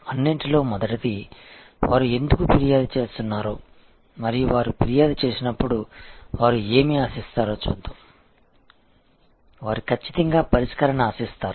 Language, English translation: Telugu, First of all, let us see why they complain and what do they expect when they complain, they definitely expect a Redressal